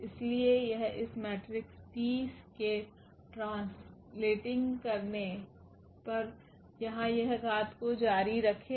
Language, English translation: Hindi, So, this will continue this power here on translating to this matrix T